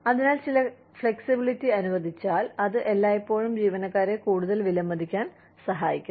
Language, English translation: Malayalam, So, some flexibility, if it is allowed, it always helps the employees, feel much more valued